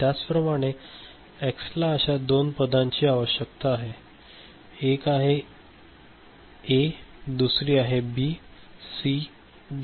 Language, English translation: Marathi, Similarly X requires two such terms one is A another is B, C, D, so B, C, D